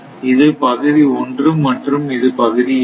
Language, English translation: Tamil, So, this is area 1 this is area 2 right